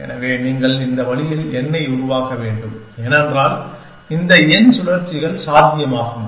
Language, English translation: Tamil, So, you should device this way n, because there are these n rotations that are possible